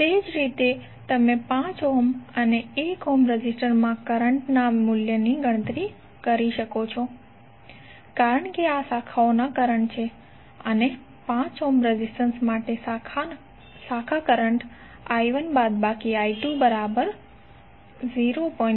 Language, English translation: Gujarati, So similarly you can calculate the value of current in 5 ohm and 1 ohm resistor because these are the branch currents and 5 for 5 ohm resistance the branch current would be I1 minus I2